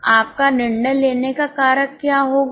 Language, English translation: Hindi, So, what will be your decision making factor